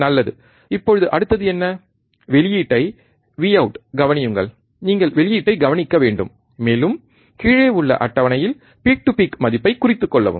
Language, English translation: Tamil, Nice, now what is the next one, observe the output, V out you have to observe output, and note down the peak to peak value in the table below